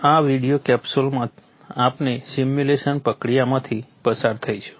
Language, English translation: Gujarati, In this video capsule we shall take a walk through the simulation process